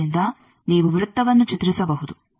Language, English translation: Kannada, So, you can draw a circle